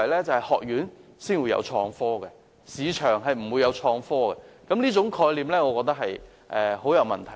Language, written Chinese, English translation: Cantonese, 就是學院才會有創科，市場不會有創科，我認為這種概念很有問題。, The mindset I am referring to is that IT is confined to academic institutions but not the market . I find such a concept problematic